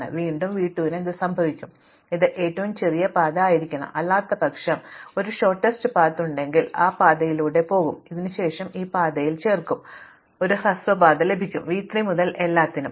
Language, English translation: Malayalam, So, again what happen s to v 2 this must be the shortest path, because otherwise if there were a shortest path then I will take that shorter path and then I will add on this path which I already have and I will get a shortest path to everything from v 3 onwards